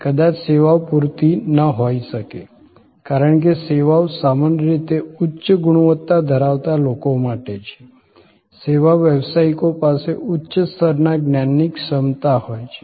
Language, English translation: Gujarati, Services may not be good enough, because services usually ask for people of higher caliber, service professionals have higher level of knowledge competency